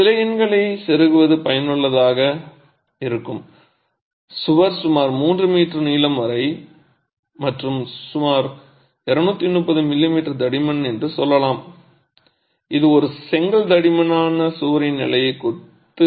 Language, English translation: Tamil, It's useful to plug in some numbers, let's say the wall is about 3 meters long and about 230 m m thick which is a standard masonry wall thickness for a one brick thick wall